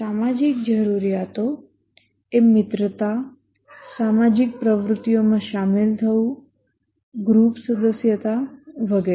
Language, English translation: Gujarati, The social needs are friendship, engaging in social activities, group membership and so on